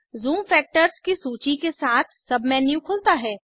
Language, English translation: Hindi, A submenu opens with a list of zoom factors